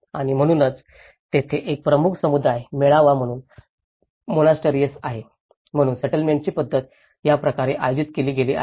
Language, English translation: Marathi, And so that, there is a monastery as a major community gathering, so this is how the settlement pattern has been organized